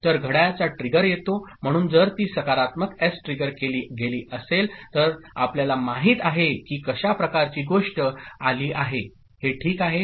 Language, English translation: Marathi, So, the clock trigger comes, so if it is a say positive S triggered, you know kind of thing the it has arrived ok